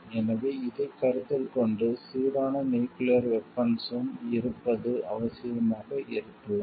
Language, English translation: Tamil, So, it having a balanced nuclear weapon is maybe necessary